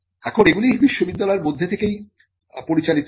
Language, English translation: Bengali, Now, these are administers administered from within the university itself